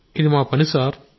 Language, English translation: Telugu, Shall do it Sir